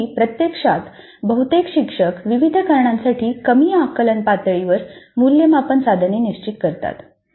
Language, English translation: Marathi, However, in practice most of the instructors do set the assessment item at lower cognitive levels for a variety of reasons